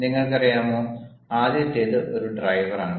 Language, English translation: Malayalam, the first is a driver